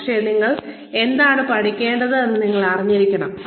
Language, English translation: Malayalam, But, you should know, what you need to learn